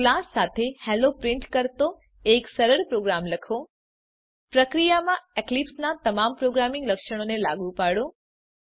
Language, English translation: Gujarati, Write a simple program with a class that prints Hello In the process Apply all the programming features of Eclipse